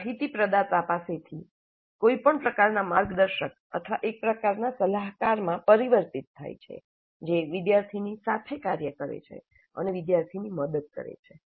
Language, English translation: Gujarati, So it shifts from an information provider to a kind of a mentor or a kind of a guide who works along with the student and helps the student